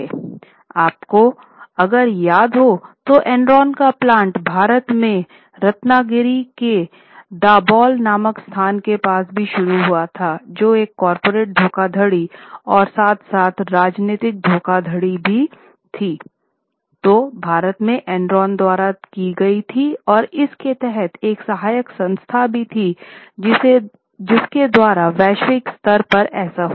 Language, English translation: Hindi, If you remember, the plant of Endron has had also started in India at Dabhol near Ratnagiri and there was very big fraud, both corporate fraud as well as political fraud done by Endron in India as well under one of its subsidiaries